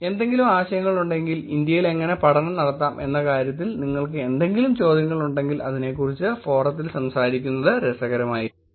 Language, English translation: Malayalam, If there is any ideas, if there is any questions that you have in terms of how study could be performed in India, it will be interesting to talk about it in the forum